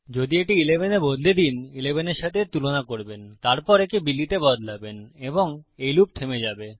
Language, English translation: Bengali, If you change this to 11, youll compare it to 11, then change it to Billy and then itll end the loop